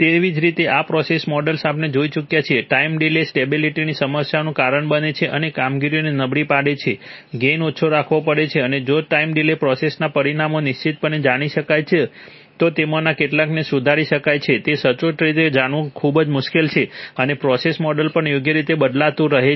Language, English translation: Gujarati, Similarly the process models, this we have already seen, time delay causes stability problems and degrades performance, gain has to be kept low and if the time delay the process parameters are known accurately then some of them may be corrected, it is very difficult to know it accurately and the process model also keeps shifting right